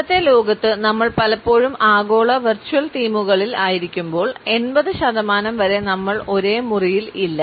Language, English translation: Malayalam, But in today’s world, when we are often in global virtual teams most of the time up to 80 percent of the time we are not in the room with one another anymore